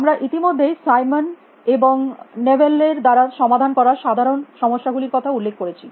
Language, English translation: Bengali, We already mention the general problems solved by a Simon and Newell